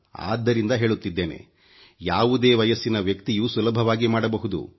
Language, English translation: Kannada, I am saying this because a person of any age can easily practise it